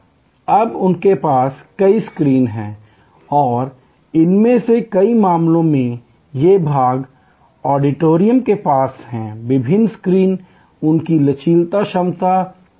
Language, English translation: Hindi, Now, they have multiple screens and in many of these cases these part auditorium with different screens, they have flexible capacity